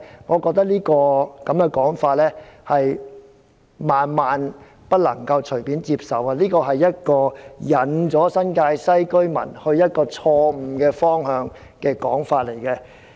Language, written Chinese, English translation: Cantonese, 我覺得我們萬萬不能隨便接受這種說法，這是引領新界西居民走向錯誤方向的說法。, I consider that we should never casually accept such an idea because it is something which will lead residents in the New Territories West to a wrong path